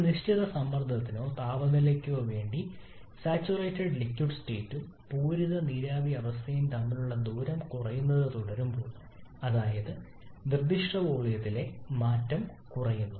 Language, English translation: Malayalam, And as we keep on moving to higher pressure side the distance between saturated liquid state and saturated vapour state for a given pressure or temperature that keeps on reducing